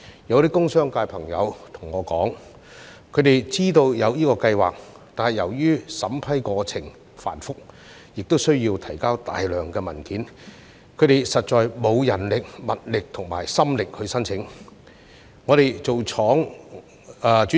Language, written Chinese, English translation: Cantonese, 有些工商界朋友對我說，他們知道有這個計劃，但由於審批過程繁複，亦需要提交大量文件，他們實在沒有人力、物力及心力申請。, Some friends of mine from the industrial and business sectors told me that they were aware of this Scheme but they really did not have the manpower and resources to spare efforts to apply given the complicated vetting and approval process and the need to submit a bunch of documents